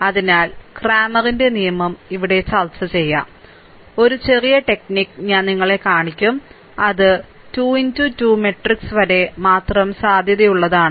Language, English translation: Malayalam, So, just cramers rule we will discuss here, and one small technique I will show you which is valid only for 3 into 3 matrix, right